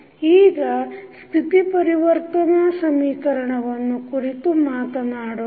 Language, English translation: Kannada, Now, let us talk about the state transition equation